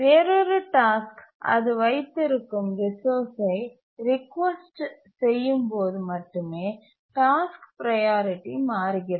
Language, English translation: Tamil, The priority of task changes only when another task requests the resource that it is holding